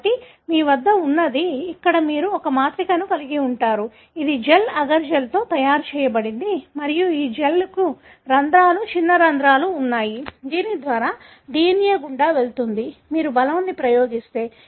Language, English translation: Telugu, So, what you have is, here is, you have a matrix, which is made up of a gel, agar gel and this gel has got pores, small pores through which the DNA can pass through, if you apply force